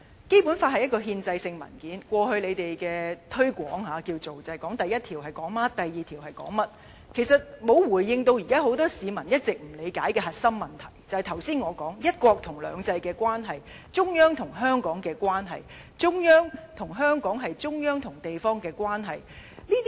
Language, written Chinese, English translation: Cantonese, 《基本法》是一份憲制性文件，過去當局的推廣方式，主要是指出第一條說甚麼，第二條說甚麼，其實沒有回應現在許多市民一直不理解的核心問題，即我剛才提到一國與兩制的關係，中央與香港的關係，中央與香港，是中央與地方的關係。, The Basic Law is a constitutional document . The authorities promotion in the past mainly followed the routine of stating the contents in the Articles without responding to the peoples lack of understanding of the core issues all along that is the relationships between one country and two systems and between the Central Authorities and Hong Kong . The relationship between the Central Authorities and Hong Kong is a relationship between the Central Authorities and a local city